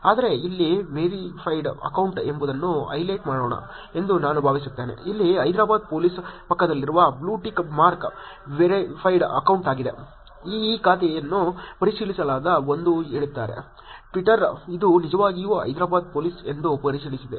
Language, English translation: Kannada, But I think let me just highlight what a verified account here is, the blue tick mark next to Hyderabad Police here is the verified account; says that this account is verified that is, Twitter has verified this is really the Hyderabad Police